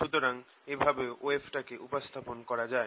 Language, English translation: Bengali, so this is another way of representing a wave